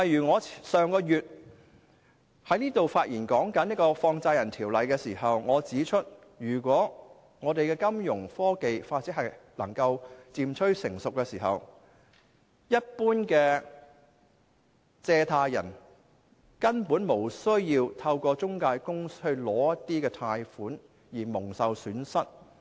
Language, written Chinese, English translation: Cantonese, 我上個月發言時提到《放債人條例》，我當時指出，如果我們的金融科技發展漸趨成熟，一般借貸人根本無須透過中介公司取得貸款，因而蒙受損失。, When I spoke last month on the Money Lenders Ordinance I pointed out that when financial and technological development became mature general borrowers basically did not need to obtain loans through intermediaries and suffered losses